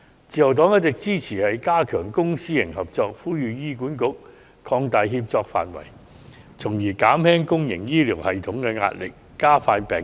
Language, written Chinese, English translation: Cantonese, 自由黨一直支持加強公私營合作，呼籲醫管局擴大協作範圍，從而減輕公營醫療系統的壓力，加快治療病人。, The Liberal Party has supported enhancing private - public partnership all along and has called on HA to expand the scope of cooperation to ease the pressure on the public health care system and speed up patient treatment